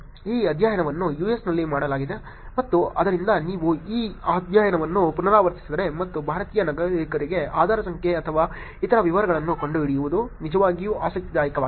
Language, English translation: Kannada, The study was done in the US and therefore if you were to repeat this study and find out Adhaar number or others details of Indian Citizens it will be actually interesting to look at that